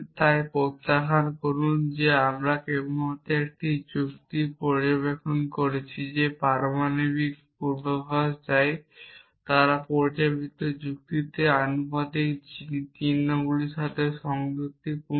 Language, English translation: Bengali, So recall that we just made an observation that atomic predicates they correspond to proportional symbols into proposition logic